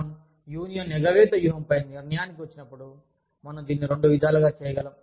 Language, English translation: Telugu, When we decide, upon a union avoidance strategy, we could do it, in two ways